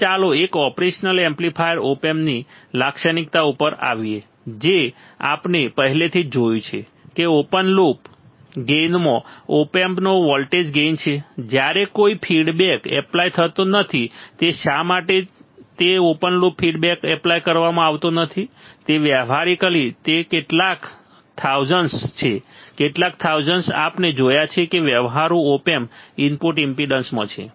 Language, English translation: Gujarati, Now, let us come to the come to the characteristics of an operational amplifier op amp characteristics we have seen this already that open loop gain it has voltage gain of op amp when no feedback is applied why that is why it is open loop no feedback is applied and practically it is several 1000s, several 1000s we have seen right that in practical op amp input impedance